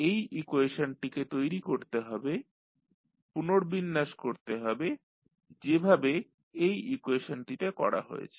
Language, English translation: Bengali, We have to construct, we have to rearrange this equation as shown in this equation